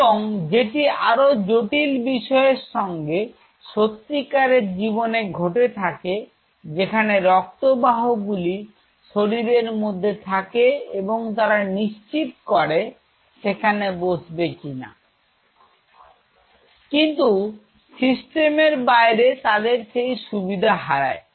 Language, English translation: Bengali, And that adds up to the complexity in a real life what happens there are blood vessels which are crawling through and they ensure that these binds there, but outside the system that privilege is lost